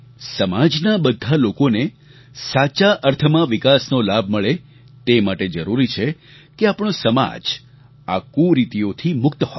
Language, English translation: Gujarati, In order to ensure that the fruits of progress rightly reach all sections of society, it is imperative that our society is freed of these ills